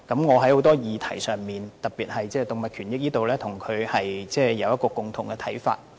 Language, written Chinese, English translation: Cantonese, 我在很多議題上，特別是在動物權益方面與她有共同的看法。, I share her views on a wide range of topics particularly with respect to animal rights